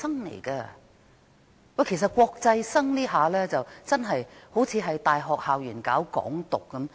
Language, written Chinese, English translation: Cantonese, 將大陸生視為國際生，似乎是在大學校園內搞港獨。, To treat Mainland students as international students is like advocating Hong Kong independence in university campuses